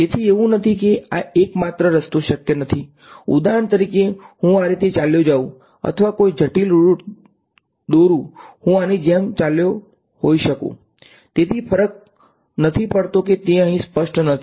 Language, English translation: Gujarati, So, it is not this is not the only root possible I could for example, have gone like this or any complicated root let I could have gone like this, does not matter it is not specified over here